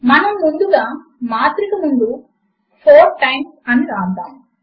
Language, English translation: Telugu, We will first write 4 times followed by the matrix